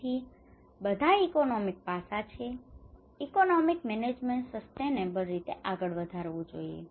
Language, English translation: Gujarati, So, everything is an economic aspect; the economic management has to proceed in a sustainable